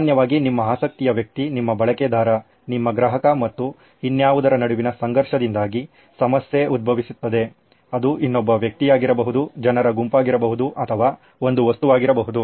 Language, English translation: Kannada, Usually the problem arises because of the conflict between your person of interest, your user, your customer and something else, it could be another human being, set of human beings or a thing, an object